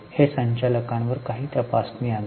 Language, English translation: Marathi, That brings in some check on the directors